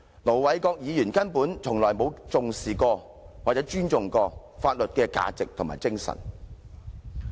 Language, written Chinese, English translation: Cantonese, 盧議員根本從來沒有重視或尊重過法律的價值和精神。, Ir Dr LO has never attached importance to or respected the values and spirits of the law